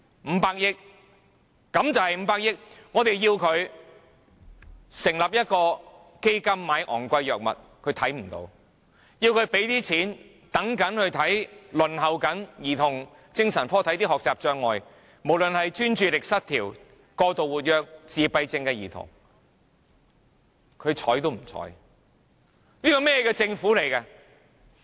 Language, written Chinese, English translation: Cantonese, 我們要求政府成立一個基金用來購買昂貴藥物，但它看不到；我們要求它撥款給輪候兒童精神科醫治學習障礙，無論是專注力失調、過度活躍或自閉症的兒童，但它毫不理睬。, We ask the Government to set up a fund for the purchase of expensive drugs but it turns a blind eye to this request . We ask it to allocate some funding for some children with learning obstacles either suffering from attention deficit hyperactivity disorder or autism who are waiting for child psychiatric services but it is oblivious to our request